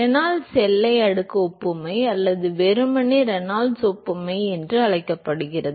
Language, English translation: Tamil, Called the Reynolds boundary layer analogy or simply Reynolds analogy